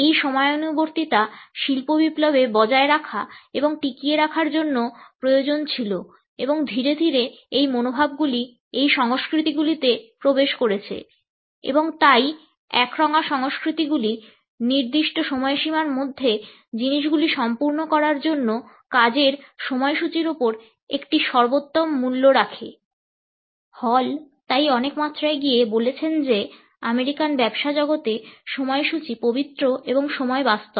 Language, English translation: Bengali, This punctuality was necessary to maintain and sustain industrial revolution and gradually these attitudes have seeped into these cultures and therefore, monochronic cultures place a paramount value on schedules on tasks on completing the things by the deadline and therefore, Hall has gone to the extent to say that in the American business world, the schedule, is sacred and time is tangible